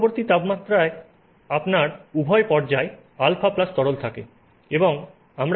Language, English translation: Bengali, In intermediate temperatures you have both phases, alpha plus liquid